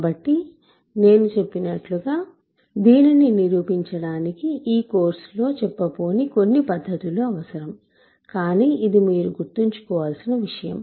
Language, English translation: Telugu, So, as I said this requires some techniques that we are not going to cover in this course, but it is something for you to keep in your mind